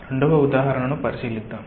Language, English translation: Telugu, let us consider a second example